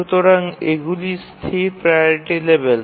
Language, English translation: Bengali, So, these are static priority levels